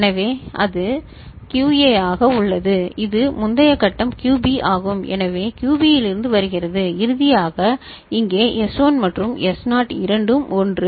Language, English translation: Tamil, So, that is QA so, it is previous stage is QB so it is coming from QB and finally, here S1 and S0 both are 1